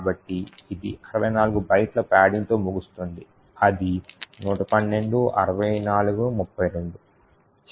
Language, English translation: Telugu, So that ends up in 64 bytes of padding which is 112 minus 64 minus 32